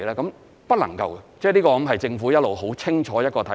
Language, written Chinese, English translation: Cantonese, 是不能夠的，這一直是政府一個很清楚的看法。, The answer is in the negative . This has been a clear stance adopted by the Government